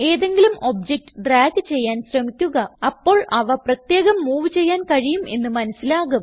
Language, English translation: Malayalam, Drag any of the objects, and you will see that they can be moved individually